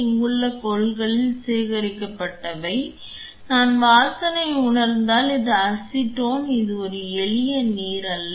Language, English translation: Tamil, Which got collected into the container here you this is nothing like if I smell it this is acetone this is not a simple water